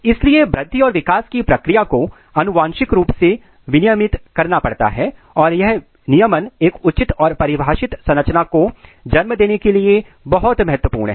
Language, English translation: Hindi, So, the process of growth and development has to be genetically regulated and this regulation is very important to give rise a proper and defined plant architecture ok